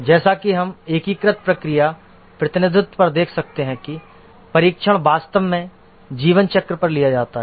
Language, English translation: Hindi, As you can see in the unified process representation here, the testing is actually carried out over the lifecycle